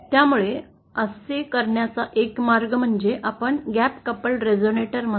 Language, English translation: Marathi, So, one way to do that is what we call a gap couple resonator